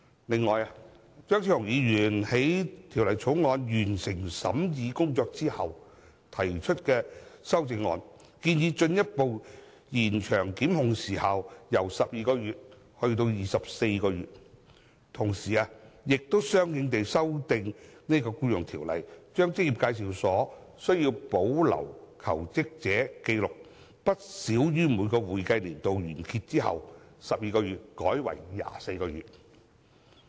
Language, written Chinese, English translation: Cantonese, 此外，張超雄議員在法案委員會完成審議工作後提出修正案，建議把檢控的法定時效限制由現時的12個月延長至24個月，同時相應修訂《僱傭條例》，把職業介紹所須在每一個會計年度完結後把求職者紀錄保留不少於12個月的期限改為24個月。, Moreover after the Bills Committee had concluded the scrutiny of the Bill Dr Fernando CHEUNG introduced an amendment which proposed to extend the statutory time limit for prosecution from the currently proposed 12 months to 24 months . At the same time he proposed making a corresponding amendment to EO to change the requirement that employment agencies must retain records of job applicants after the expiry of each accounting year for a period of not less than 12 months to 24 months